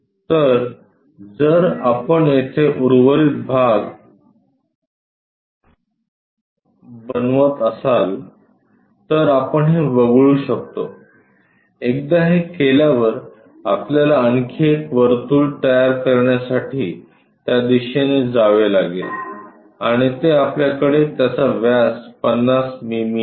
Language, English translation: Marathi, So, here if we are making construct that the remaining portion we can just eliminate this, once that is done we have to move in that direction to construct one more circle and that is diameter 50 mm we have it